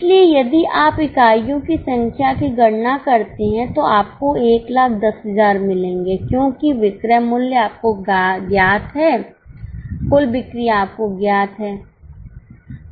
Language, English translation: Hindi, So, if you compute number of units, you will get 1,000, 10,000 because selling price is known to you, total sales is known to you